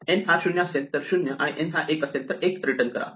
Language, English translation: Marathi, So, if n is 0 return 0, if n is 1, we return 1